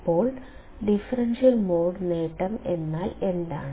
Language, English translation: Malayalam, So, what is differential mode gain